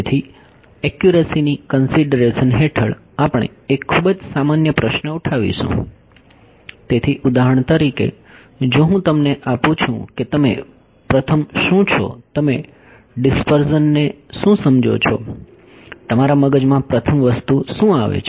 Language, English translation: Gujarati, So, under Accuracy Considerations we will pose a very general question; so for example, if I ask you this what is first you what do you understand by dispersion, what is the first thing that comes your mind